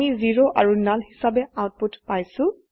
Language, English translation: Assamese, So we got the output as 0 and null